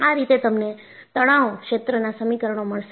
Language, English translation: Gujarati, That is how; you will get the stress field equations